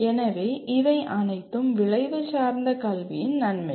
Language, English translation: Tamil, So these are all the advantages of outcome based education